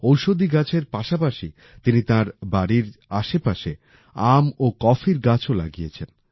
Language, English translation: Bengali, Along with medicinal plants, he has also planted mango and coffee trees around his house